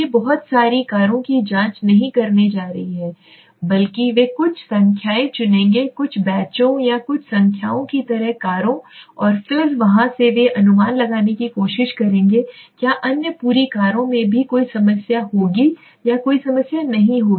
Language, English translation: Hindi, They are not going to check the whole lot of the cars, rather they would pick up a few numbers of cars like a few batches or a few numbers and then from there they would try to estimate whether the other the whole lot of cars will also have any problem or not have any problem